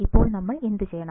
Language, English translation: Malayalam, Now, what do we have to do